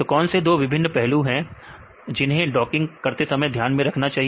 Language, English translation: Hindi, What are the 2 different aspects we have to consider in docking